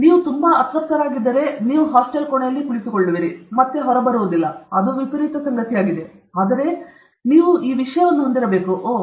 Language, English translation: Kannada, If you are too unhappy, then you will sit in the hostel room and you will not come out, that is the extreme case; but you should have some this thing, oh